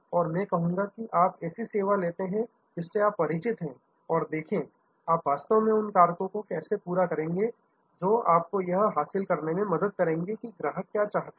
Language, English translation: Hindi, And I will say you take up a service with which you are familiar and see, how you will actually line up the factors that will help you to achieve this what, the customer’s one want that service